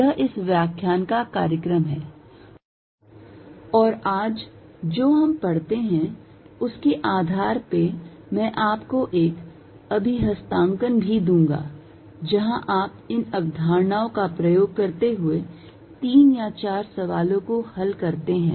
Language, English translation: Hindi, This is the program for this lecture and based on what we cover today I am also going to give you an assignment, where you solve three or four problems employing these concepts